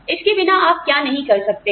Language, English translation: Hindi, What can you not do, without